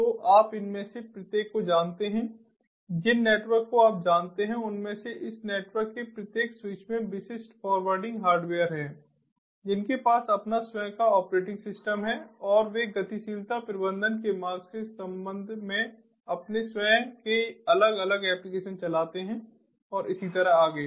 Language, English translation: Hindi, so each of these ah, you know networks, ah, ah, you know these, each of these switches in this networks, the have specialized packet forwarding hardware, they have their own operating system and they run their own different applications with respect to routing, mobility management and so on and so forth